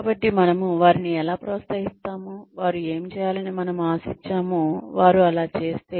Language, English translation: Telugu, So, how will we encourage them, if they do, what we expect them to do